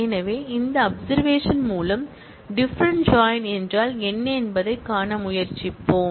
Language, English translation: Tamil, So, with this observation, let us start trying to see what different joint mean